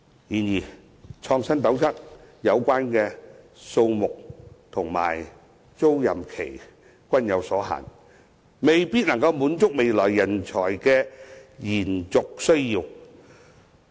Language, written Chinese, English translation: Cantonese, 然而，"創新斗室"的數目和租賃期均有限制，未必可以滿足未來人才的延續需要。, Nevertheless given the restraints on the number and tenancy period of InnoCell the sustained demand of talents in future may not be met